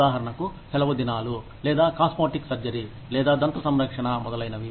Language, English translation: Telugu, For example, the vacation days, or cosmetic surgery, or dental care, etc